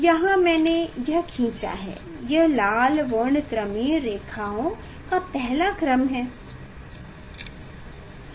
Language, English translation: Hindi, this here I have drawn this is the first order of red line red spectral lines